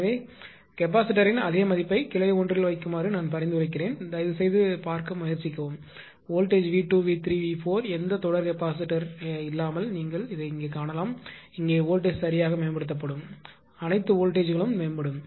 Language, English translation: Tamil, So, I suggest that you put the same manner of the capacitor in branch one and please try to see that you are what you call that what is happening to the voltage V 2 V 3 V 4 you will find without any series capacitor will find here here here voltage will improved right all voltages will improve